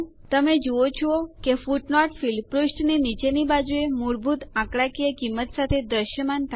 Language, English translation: Gujarati, You see that a footnote field appears at the bottom of the page with default numerical value